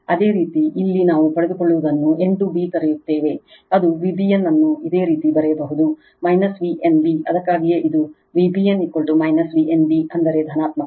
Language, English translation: Kannada, Just you obtain the here what we call that what we call n to b right, it is V b n you can write minus V n b that is why, this is V b n is equal to minus V n b that means, positive right